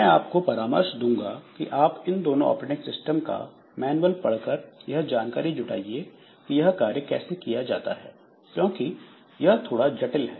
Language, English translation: Hindi, So, I will suggest that you look into the manual of either of these two operating system to get some idea about how this is done because that is a bit complex